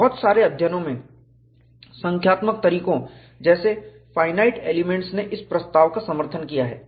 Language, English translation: Hindi, A number of studies, using numerical methods such as finite elements, have supported this proposition